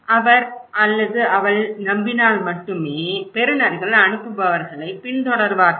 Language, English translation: Tamil, He would, the receivers would follow him the senders only if he believes or she believes, okay